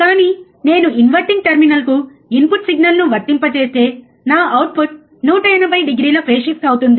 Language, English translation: Telugu, But if I apply my input signal to the inverting terminal, my output would be 180 degree phase shift